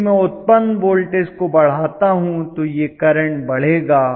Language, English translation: Hindi, If I increase the generated voltage clearly this current will go up